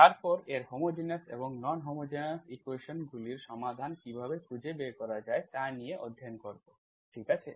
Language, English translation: Bengali, And then we will study its properties and then how to find its solutions, both homogenous and non homogeneous equations, okay